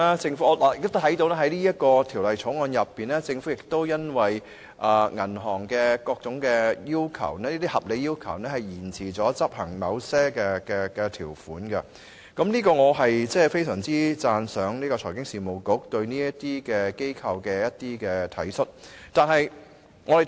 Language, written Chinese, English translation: Cantonese, 就《2017年銀行業條例草案》而言，政府已因應銀行業的各種合理要求而延遲執行某些條款，對此我非常讚賞財經事務及庫務局對這些機構的體恤。, The Government has delayed the implementation of certain provisions of the Banking Amendment Bill 2017 the Bill in response to the reasonable requests of the banking sector; I appreciate the consideration shown by the Financial Services and the Treasury Bureau to these institutions